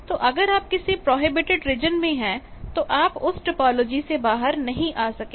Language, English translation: Hindi, So, if you are in prohibited regions by that topology you cannot come out